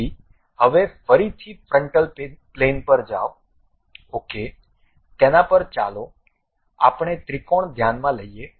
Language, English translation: Gujarati, So, now again go to frontal plane, ok, on that let us consider a triangle